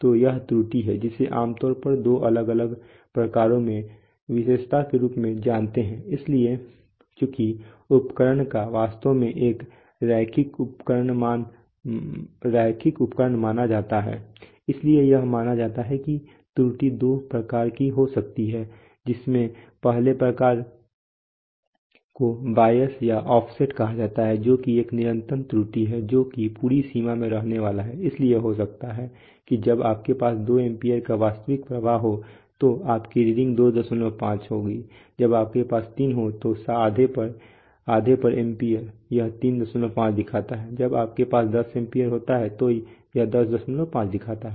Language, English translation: Hindi, So this is the error now the error is typically you know characterized as in, into two different kinds so since the instrument is actually assumed to be a linear instrument, so it is assumed that the error can be of two types the first type is called bias or offset which is a constant error, which is, which is going to stay throughout the range, so maybe at half at when you have a reading of when you have an actual current of 2 amperes your reading shows 2